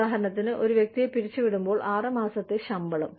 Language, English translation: Malayalam, For example, six month salary, when a person is laid off